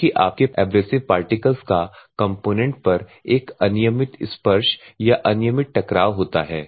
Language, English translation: Hindi, Because your abrasive particles will have a random touch or randomly impinge on the components